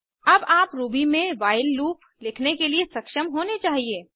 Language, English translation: Hindi, You should now be able to write your own while loop in Ruby